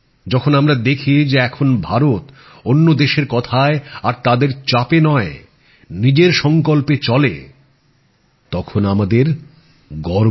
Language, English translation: Bengali, When we observe that now India moves ahead not with the thought and pressure of other countries but with her own conviction, then we all feel proud